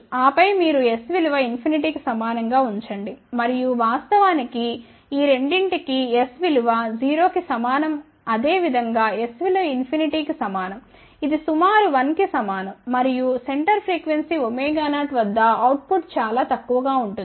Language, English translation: Telugu, Again you can use the concept of put s equal to 0 and then you put s equal to infinity and you will see that in fact, for both s equal to 0 as well as for s equal to infinity it is equivalent to approximately 1 and at the center frequency omega 0 output will be very small, ok